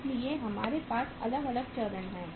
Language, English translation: Hindi, So we have different stages